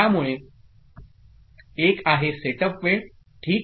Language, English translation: Marathi, So, one is called setup time ok